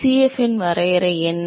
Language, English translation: Tamil, what is the definition of Cf